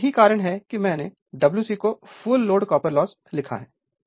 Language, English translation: Hindi, Now, that is why I have written W c is equal to this much full load copper loss